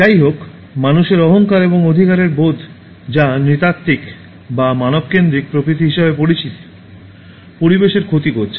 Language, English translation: Bengali, However, man’s arrogance and sense of entitlement, which is called as “anthropocentric” or man centred nature, has being harming the environment